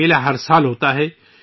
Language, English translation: Urdu, This fair takes place every year